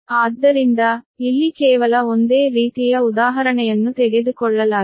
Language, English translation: Kannada, so here just taken almost similar type of example